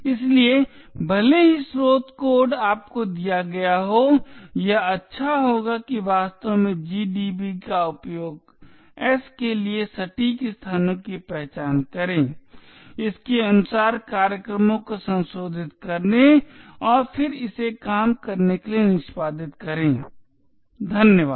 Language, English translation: Hindi, Therefore even though the source code is given to you it would be good to actually use gdb identify the exact locations of s modify the programs accordingly and then execute it in order to get it to work, thank you